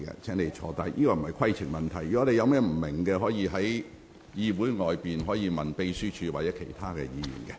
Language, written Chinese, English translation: Cantonese, 這並非規程問題，如果你有不明白之處，可在會議後向秘書處查詢。, This is not a point of order . If you do not understand this you may make enquiries with the Secretariat after the meeting